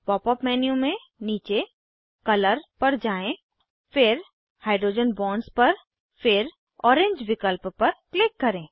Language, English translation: Hindi, From the Pop up menu scroll down to Color then Hydrogen Bonds then click on orange option